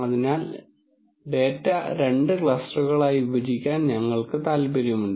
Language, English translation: Malayalam, So, we are interested in partitioning this data into two clusters